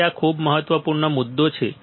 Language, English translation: Gujarati, So, these are very important points